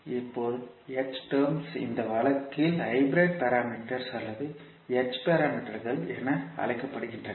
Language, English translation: Tamil, Now h terms are known as the hybrid parameters or h parameters in this case